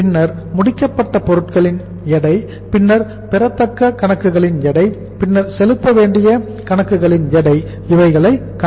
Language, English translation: Tamil, Then weight of the FG finished goods and then the weight of accounts receivable and then the weight of accounts payable